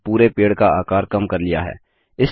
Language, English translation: Hindi, And we have reduced the size of the whole tree